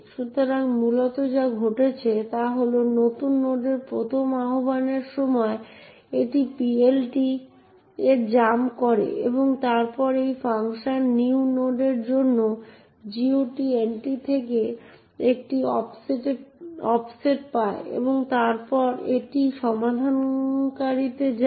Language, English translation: Bengali, So, essentially what is happening is that during the first invocation of new node it jumps into the PLT and then obtains an offset from the GOT entry for that particular function new node and then goes into a resolver